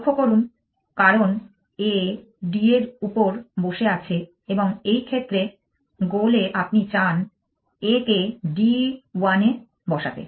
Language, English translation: Bengali, Notice because a sitting on d and in the goal you want to a to be sitting on d and minus one for this